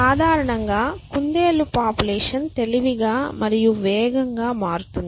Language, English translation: Telugu, So, in general the rabbit population will become smarter and faster essentially